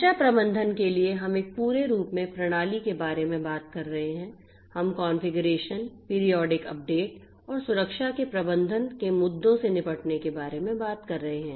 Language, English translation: Hindi, For security management we are talking about the system as a whole, we are talking about dealing with issues of configurations, periodic updates and managing the security controls